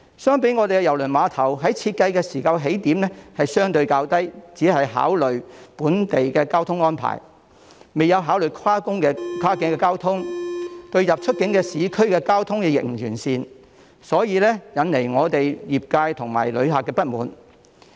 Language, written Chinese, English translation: Cantonese, 相反，香港郵輪碼頭在設計時的起點相對較低，只考慮本地的交通安排，未有考慮跨境交通，出入市區的交通亦不完善，因而引來業界及旅客的不滿。, On the contrary the design of Hong Kongs cruise terminal started at a lower level . Considerations were only given to local traffic arrangements without taking into account cross - border transport services and the transport to and from urban areas is also inadequate thus causing dissatisfaction among the industry and visitors